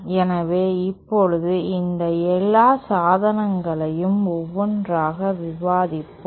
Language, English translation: Tamil, So, let us now discuss one by one all these devices